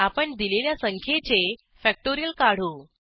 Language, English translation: Marathi, We will calculate the factorial of a number